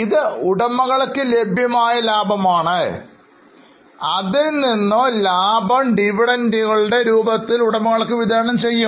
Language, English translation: Malayalam, From that, some profit may be distributed to the owners in the form of dividends